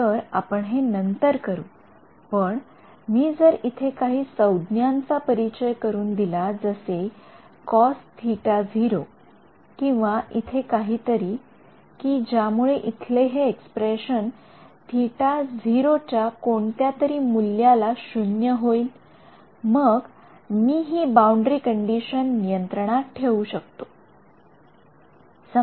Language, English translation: Marathi, So, I mean we will do this later but, basically if I introduce some new term over here, some cos theta naught or something over here, in such a way that this expression over here, cancels off at some desired theta naught then, I can control this boundary condition